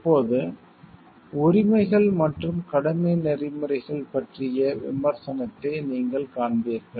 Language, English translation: Tamil, Now, you will see the criticism of the rights and duty ethics